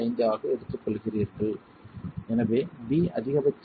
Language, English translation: Tamil, 5, so B will have a maximum value of 1